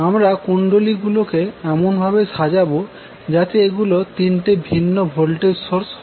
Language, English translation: Bengali, So, what you can do you can arrange them in such a way that it looks like there are 3 different voltage sources